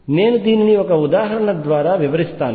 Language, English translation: Telugu, I will illustrate this through an example